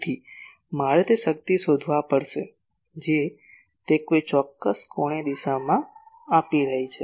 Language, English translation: Gujarati, So, I will have to find the power that it is giving in a particular angular direction